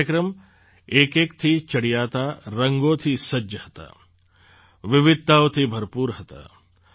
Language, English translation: Gujarati, These programs were adorned with a spectrum of colours… were full of diversity